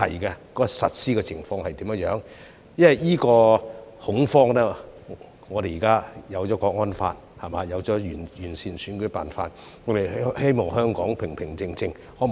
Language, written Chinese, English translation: Cantonese, 因為在此恐慌下，我們現在有了《香港國安法》，有了完善的選舉辦法，希望香港平平靜靜。, Amid this panic and now that we have the National Security Law for HKSAR and an improved electoral method we hope for a calm and quiet Hong Kong